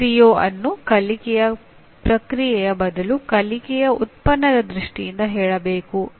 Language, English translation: Kannada, The CO should also be stated as learning product rather than in terms of using the learning process